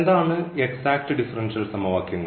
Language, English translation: Malayalam, So, what are the exact differential equations